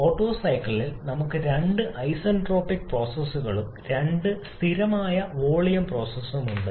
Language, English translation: Malayalam, In the Otto cycle we have two isentropic processes and two constant volume process